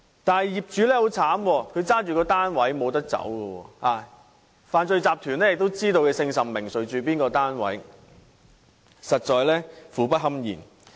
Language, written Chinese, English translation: Cantonese, 然而，業主卻十分可憐，因為他們持有單位，想避也避不了，犯罪集團又知道他們姓甚名誰，住在哪個單位，實在苦不堪言。, However the owners are in great miseries because as they own their flats there is no way for them to evade such threats whereas the crime syndicates know who they are and where they live . Their sufferings are unspeakable indeed